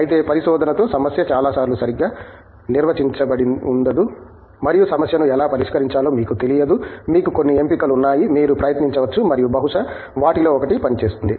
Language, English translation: Telugu, Whereas, with research many times the problem itself is not well defined and you donÕt know how to actually solve the problem, you have handful of options hopefully, that you can try and perhaps one of them will work out